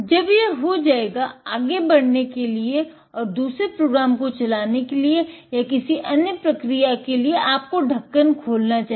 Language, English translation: Hindi, When it is done, in order to go on and run another program or any other process, you must open the lid